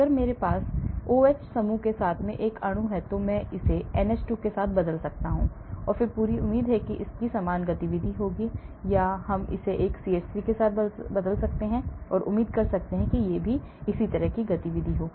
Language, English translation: Hindi, If I have a molecule with the OH group, I can replace it with NH2 then I expect it to have similar activity or I can replace it with CH3 and expect it to have similar activity